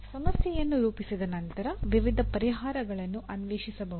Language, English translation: Kannada, Once a problem is formulated, various solutions can be explored